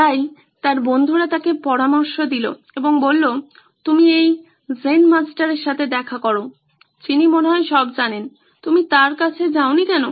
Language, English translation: Bengali, So his friends counselled him and said why don’t you visit this Zen Master who seems to know it all, why don’t you approach him